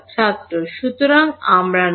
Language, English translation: Bengali, So, we are not